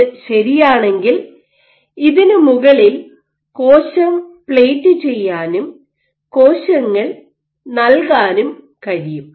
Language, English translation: Malayalam, So, if this was true then you can plate a cell on top of this and you can have cells which